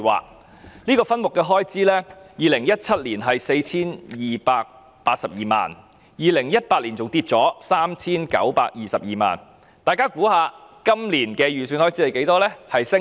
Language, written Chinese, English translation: Cantonese, 在2017年，這個分目的開支是 4,282 萬元 ，2018 年下跌至 3,922 萬元，大家猜一猜今年的預算開支是多少？, In 2017 the expenditure for this subhead was 42.82 million and in 2018 it dropped to 39.22 million . Guess how much its expenditure estimate is this year